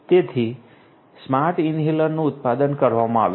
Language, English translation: Gujarati, So, Smart Inhalers have been manufactured